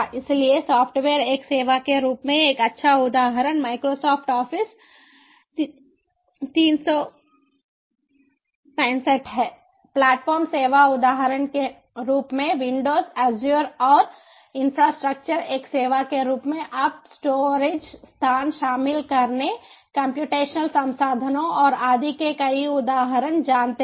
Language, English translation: Hindi, so, software as a service: a good example is microsoft office three, sixty five platform as a service example, windows, azure, infrastructure as a service, you know several examples of inclusion of storage spaces, computational ah resources and so on